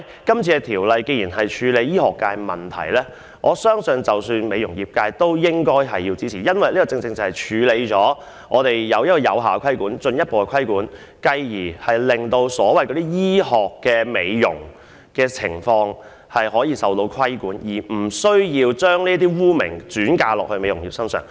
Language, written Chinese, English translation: Cantonese, 既然《條例草案》處理的是醫學界的問題，我相信美容業界也應予以支持，因為政府藉此能有效及進一步對醫療機構實行規管，繼而令所謂的醫學美容服務也能夠受到規管，相關的污名因而不會再加諸於美容業界。, As the Bill deals with problems in the medical profession I believe the beauty industry should render its support because the Government by virtue of the Bill can enforce effective and further regulation on healthcare facilities . Consequently the so - called aesthetic medicine services will be brought under regulation as well so that the relevant stigma will no longer be attached to the beauty industry